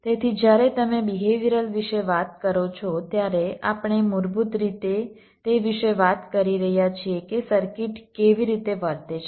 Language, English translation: Gujarati, so when you talk about behavioral, we basically, ah, talking about how circuit is suppose to behave